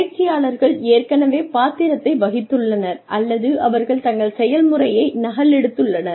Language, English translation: Tamil, So, the trainees have already played the role, or they have copied their practice